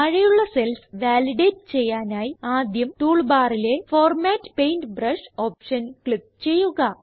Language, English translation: Malayalam, To validate the cells below, first click on the Format Paintbrush option on the toolbar